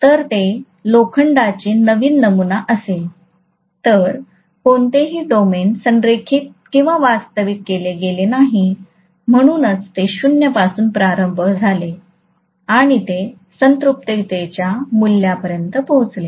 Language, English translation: Marathi, If it is a new sample of iron none of the domains have been aligned or realigned, that is why it started from 0 and it reached a saturation value